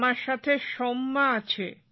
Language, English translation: Bengali, Soumya is with me